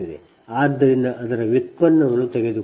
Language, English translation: Kannada, so taking the derivative of that